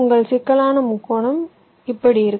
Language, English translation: Tamil, so this complex triangular is